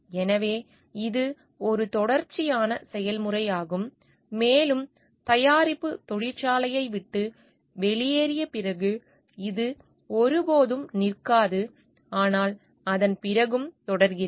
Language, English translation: Tamil, So, this is an ongoing process and it never stops after the factory product leaves the factory, but is continue after that also